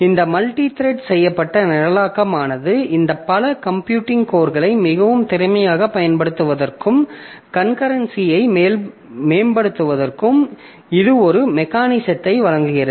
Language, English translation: Tamil, So, this multi threaded programming, it provides a mechanism for more efficient use of this multiple computing course and improving the concurrency